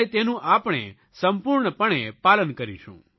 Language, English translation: Gujarati, We shall strictly abide by this